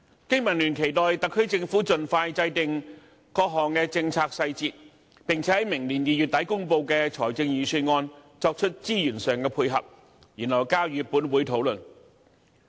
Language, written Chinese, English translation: Cantonese, 經民聯期望特區政府盡快制訂各項政策細節，並且在明年2月底公布的財政預算案作出資源上的配合，然後交予本會討論。, The responses from all sectors of society are rather positive . BPA expects the SAR Government to work out policy details as soon as possible and make adequate provision of resources in the Budget to be announced at the end of February next year . The detailed policies will then be submitted to this Council for discussion